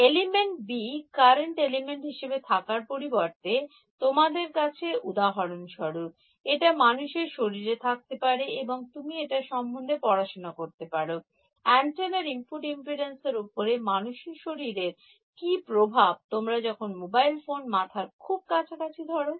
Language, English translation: Bengali, Instead of element B being a current element, you could have, for example, a human body and you wanted to study what is the role of a human body on the input impedance of your antenna you are holding a mobile phone over here close to your head